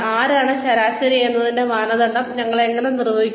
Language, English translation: Malayalam, How do we define, the benchmark for, who is average